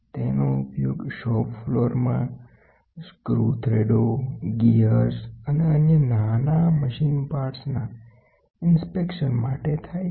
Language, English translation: Gujarati, It is used in shop floor inspection of screw threads, gears, and other small machine parts